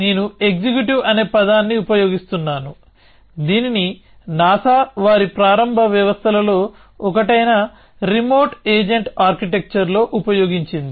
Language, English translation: Telugu, So, I using the term executive, it was used by NASA in one of their early systems, the remote agent architecture